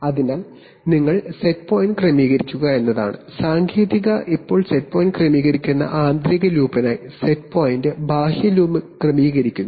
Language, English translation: Malayalam, So the technique is that you adjust the set point, now for the inner loop who adjust the set point that the set point is adjusted by the outer loop